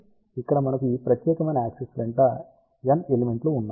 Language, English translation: Telugu, So, here we have n elements along this particular axis